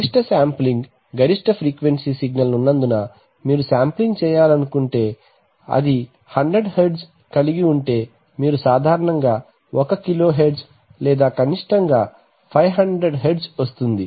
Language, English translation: Telugu, Maximum sampling, maximum frequency signal present so if you have 100 Hertz present you typically like to sample it at 1kilohertz or minimum 500 Hertz right